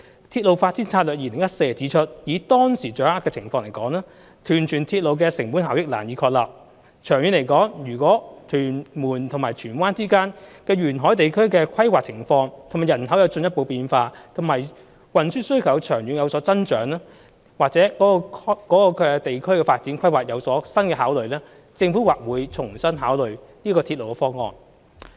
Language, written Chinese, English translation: Cantonese, 《鐵路發展策略2014》指出，以當時掌握的情況而言，屯荃鐵路的成本效益難以確立；長遠來說，如果屯門與荃灣之間的沿海地區的規劃情況及人口有進一步變化，以及運輸需求長遠有所增長，或者該地區的發展規劃有新的考慮，政府或會重新考慮這個鐵路方案。, The RDS - 2014 states that the cost - effectiveness of Tuen Mun - Tsuen Wan Link can hardly be established according to the information at that time; and in longer term the Government would consider revisiting the railway proposal if there are further changes in the planning circumstances and population as well as an increase in transport demand in the coastal areas between Tuen Mun and Tsuen Wan or new considerations in the planning for development in the region